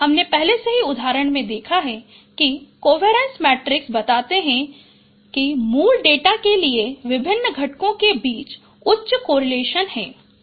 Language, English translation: Hindi, We have already seen in the example that covariance matrix they show that there is high correlations between between different components for the original data